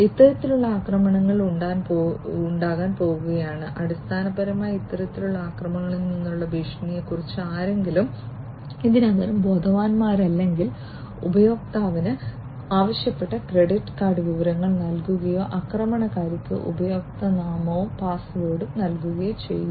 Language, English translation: Malayalam, So, these kind of attacks are going to be made and that will basically if somebody is not already educated about the potential threats from these kind of attacks, then they will the user would supply the credit card information that is requested or supply the username and password to the attacker unintentionally and that way they will lose access to their system